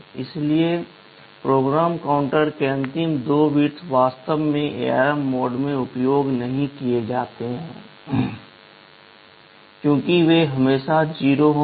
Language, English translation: Hindi, So, the last two bits of PC are actually not used in the ARM mode, as they will always be 0